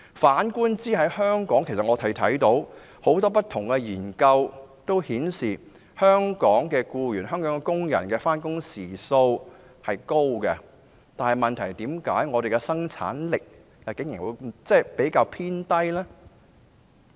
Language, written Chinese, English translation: Cantonese, 反觀香港，許多不同的研究均顯示，香港的僱員工作時數長，但為何香港的生產力竟然偏低呢？, In contrast many different studies show that Hong Kong employees have long working hours but why is Hong Kongs productivity so low?